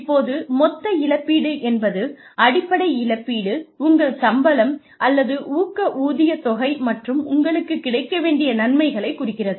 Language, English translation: Tamil, Now, total compensation refers to, the base compensation, plus your salary or pay incentives, plus your benefits